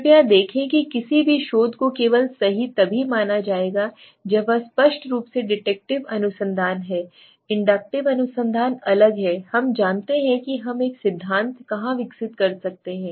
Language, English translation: Hindi, See please understand any research will only be correct if it is deductive research obviously inductive research is different we know where we develop a theory